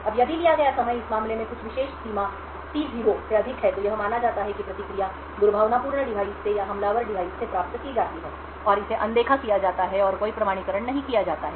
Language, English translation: Hindi, Now if the time taken is greater than some particular threshold in this case T0, then it is assumed that the response is obtained from malicious device or from an attacker device and is ignored and no authentication is done